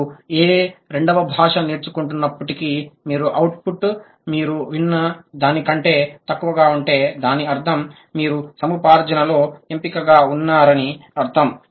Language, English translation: Telugu, No matter whatever second language you are learning, if your output is below what you have heard, that means you are selective in acquisition, selective in learning